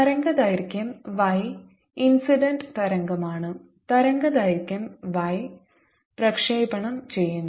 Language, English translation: Malayalam, the wave incident is y incident and wave transmitted is y transmitted